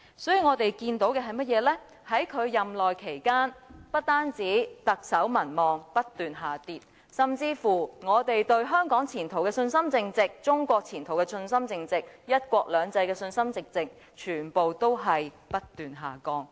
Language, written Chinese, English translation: Cantonese, 所以，我們看到的是，在他任內期間，不單特首民望不斷下跌，甚至我們對香港和中國的前途信心淨值，以及對"一國兩制"的信心淨值全部皆不斷下降。, Therefore not only did we see a successive drop in the Chief Executives public support rating during his tenure our net confidences towards the future of Hong Kong and China and in one country two systems have dropped continuously